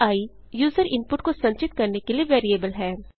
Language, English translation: Hindi, $i is a variable to store user input